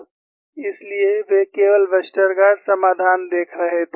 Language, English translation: Hindi, So, they were only looking at the Westergaard solution